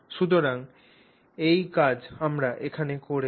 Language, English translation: Bengali, So, so this is what we have